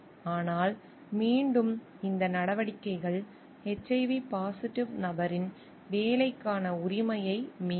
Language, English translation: Tamil, But again these actions will violating the right for work for the person who is HIV positive